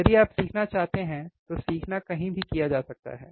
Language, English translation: Hindi, Learning can be done anywhere if you want to learn